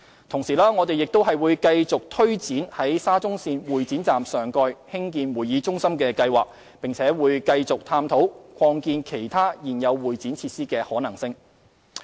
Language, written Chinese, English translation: Cantonese, 同時，我們會繼續推展在沙中線會展站上蓋興建會議中心的計劃，並會繼續探討擴建其他現有會展設施的可能性。, At the same time we will continue to take forward the planned development of a convention centre above the Exhibition Station of the Shatin to Central Link . We will also continue to explore the possibility of expanding other existing convention and exhibition facilities